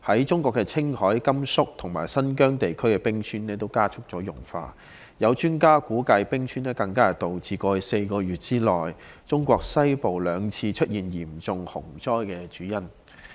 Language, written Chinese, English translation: Cantonese, 中國青海、甘肅和新疆地區的冰川也加速融化，有專家估計冰川融化是導致過去4個月內，中國西部兩次出現嚴重洪災的主因。, In China the melting of glaciers has also accelerated in Qinghai Gansu and Xinjiang provinces . Some experts speculated that glacier melting was the main reason for the two serious floods in Western China in the past four months